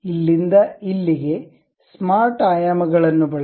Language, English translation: Kannada, Use smart dimensions from here to here